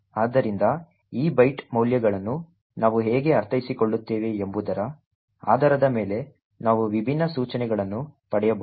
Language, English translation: Kannada, So, depending on how we interpret these byte values we can get different instructions